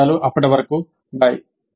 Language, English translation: Telugu, Thank you until then